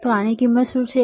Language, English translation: Gujarati, So, what is the value of this one